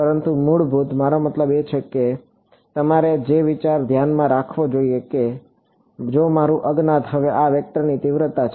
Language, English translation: Gujarati, But basic I mean the idea you should keep in mind is if my unknown now is the magnitude of this vector